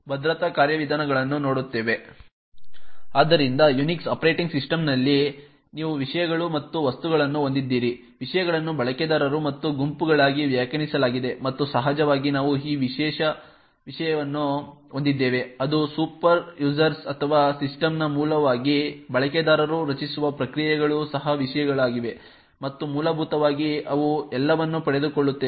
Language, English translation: Kannada, So in Unix operating system you have subjects and objects, subjects are defined as users and groups and of course we have this special subject which is the superuser or the root of the system, processes that a user creates are also subjects and essentially they inherit all the permissions and privileges that particular user has